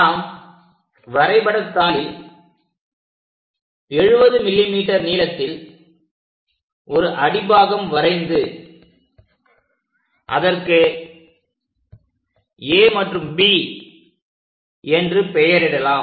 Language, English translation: Tamil, Let us draw that base on this sheet, mark 70 mm; mark these points as A and B, these are the points